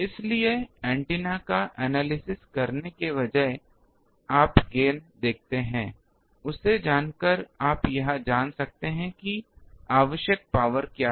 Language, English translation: Hindi, So, knowing the gain you see instead of analyzing the antenna also you can find out what is the power required